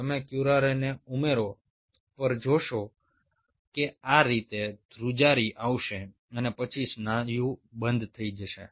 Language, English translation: Gujarati, you will see, upon addition of curare there will be shaking like this and then the muscle will stop